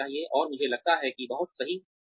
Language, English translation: Hindi, And, that is, I think, not very right